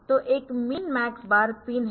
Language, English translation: Hindi, So, there is a min max bar pin